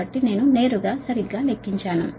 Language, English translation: Telugu, so i have only computed directly, right